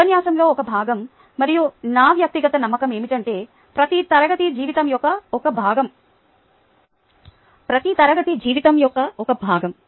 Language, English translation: Telugu, all that is a part of a lecture, ok, and my personal belief is that every class is a slice of life